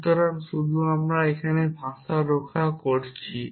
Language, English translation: Bengali, So, set I just defending the language here